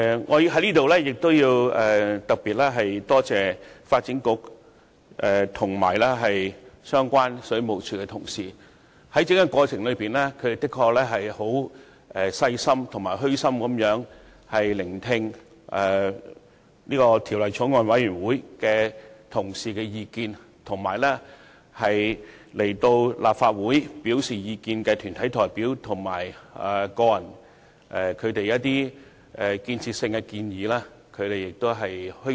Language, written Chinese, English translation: Cantonese, 我要在此特別感謝發展局和水務署的相關官員，在審議《條例草案》的整個過程中，他們十分細心和虛心地聆聽法案委員會委員的意見，以及來到立法會表達意見的團體代表和個人所作出具建設性的建議。, Here I would like to express my special thanks to the relevant officials of the Development Bureau and the Water Supplies Department . Throughout the deliberations of the Bill they have listened very attentively and modestly to the views of members of the Bills Committee as well as the constructive suggestions from deputations and individuals who came to the Legislative Council to express their opinions